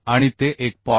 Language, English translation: Marathi, 2 as 1